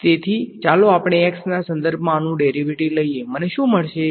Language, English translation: Gujarati, So, let us take the derivative of this with respect to x what will I get